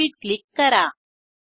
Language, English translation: Marathi, Click on Proceed